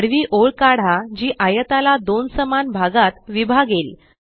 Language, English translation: Marathi, Draw a horizontal line that will divide the rectangle into two equal halves